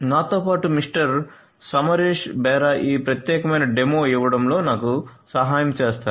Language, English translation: Telugu, Samaresh Bera along with me will help me in giving this particular demo